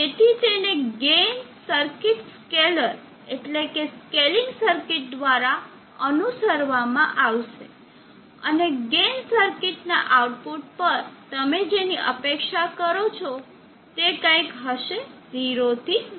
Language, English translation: Gujarati, So follow it up by a gain circuit scalar, scaling circuit and at the output of the gain circuit, what you expect will be something like this 0 to 1